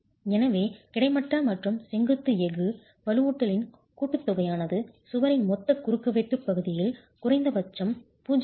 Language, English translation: Tamil, So, the horizontal and vertical steel together, the sum of the reinforcement should at least be 0